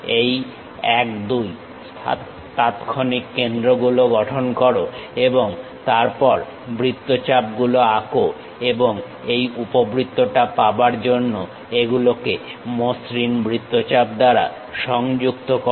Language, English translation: Bengali, Construct these instantaneous centers 1 2 and then draw the arcs connect by smooth arcs to get this ellipse